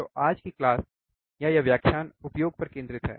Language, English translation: Hindi, So, today’s class or this lecture is focused on the application